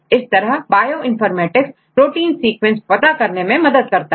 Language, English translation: Hindi, So, how the Bioinformatics help in protein sequence